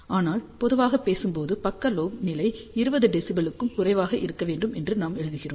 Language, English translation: Tamil, Hence for high power we definitely want side lobe level should be much less than minus 20 dB